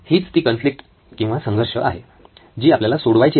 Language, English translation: Marathi, This is the conflict that you have to resolve